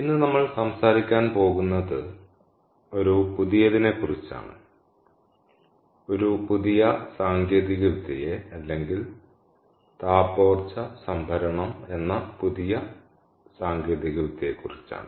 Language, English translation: Malayalam, and what we are going to talk about today is a new one, is a new technology or new class of technologies called thermal energy storage